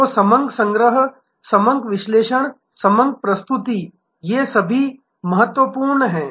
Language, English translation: Hindi, So, data collection, data analysis, data presentation, these are all important